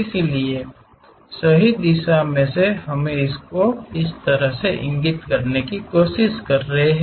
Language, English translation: Hindi, So, from rightward direction we are trying to locate it in this way